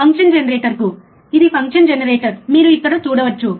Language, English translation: Telugu, To the function generator, this is the function generator, like you can see here